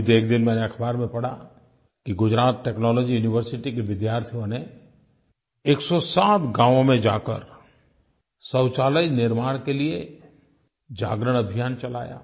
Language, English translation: Hindi, I recently read in a newspaper that students of Gujarat Technological University launched a Jagran Abhiyan Awereness Campaign to build toilets in 107 villages